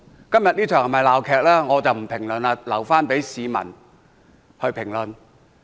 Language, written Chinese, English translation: Cantonese, 今天這場是否鬧劇，我不作評論，留待市民去評論。, I will not comment on whether todays debate is a farce as I will leave it for the public to decide